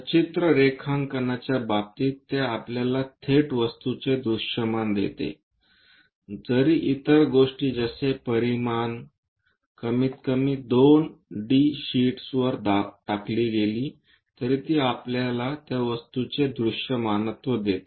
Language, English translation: Marathi, In the case of pictorial drawing, it gives us directly the object visualization, though the dimensions other things slightly skewed at least on two d sheet, it straight away gives us visualization of that object